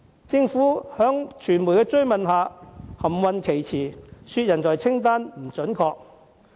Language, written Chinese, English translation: Cantonese, 政府在傳媒追問下含糊其詞，指報道的人才清單並不準確。, The Government responded ambiguously to queries from the media saying that the talent list being reported was not accurate